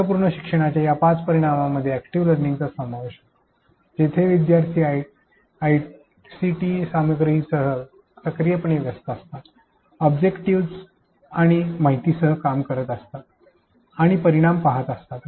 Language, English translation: Marathi, These 5 dimensions of meaningful learning included active learning where learners actively engaged with ICT content, working with the objects and information and observing results